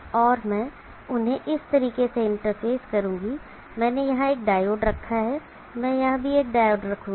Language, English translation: Hindi, And I will interface them in this fashion, I put a diode here, I will put a diode here also